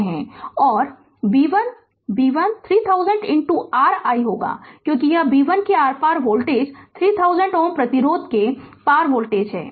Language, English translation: Hindi, And b 1, b 1 will be 3000 into your i because this is the voltage across b 1 is the voltage across the 3000 ohm resistance